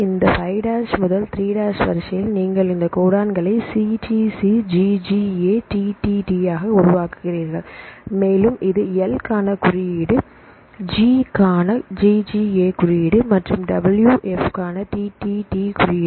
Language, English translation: Tamil, Then from this 5’ to 3’ sequence, then you make the codons right here CTC GGA TTT and so on well this is the this will code for L, GGA code for G and TTT code for W F right